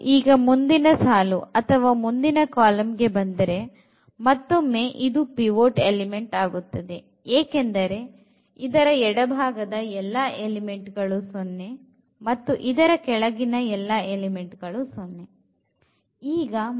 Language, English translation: Kannada, And, now, here when we come to the next row or next column this number is again pivot because everything here to zero and left to also zero and also in this sub matrix everything is zero